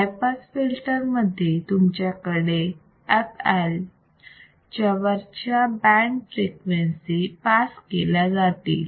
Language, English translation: Marathi, In this case in high pass filter, you can have a band of frequencies that will pass above this f L right